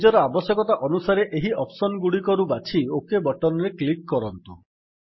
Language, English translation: Odia, Choose from these options as per your requirement and then click on the OK button